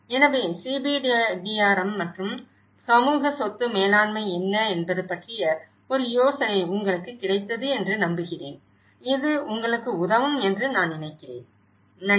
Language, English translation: Tamil, So, I hope you got about an idea of what is CBDRM and the community asset management, I think this will help you, thank you